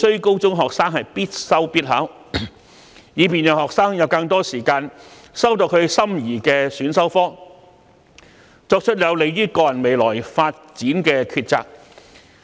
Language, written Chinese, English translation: Cantonese, 高中學生不再必修必考，讓他們有更多時間修讀心儀的選修科，以及作出有利於個人未來發展的抉擇。, If senior secondary students are no longer required to take this compulsory study and examination subject they will have more time to take the desired elective subjects and make choices conducive to their future development